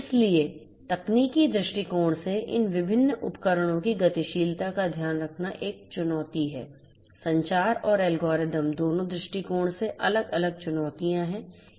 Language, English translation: Hindi, So, taken care of mobility of these different devices from a technical point of view is a challenge; technical both from a communication and a algorithmic point of view there are different challenges